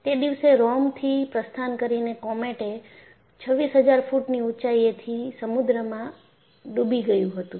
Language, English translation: Gujarati, So, what happened on that day was the Comet departing from Rome plunged into sea from an altitude of 26000 feet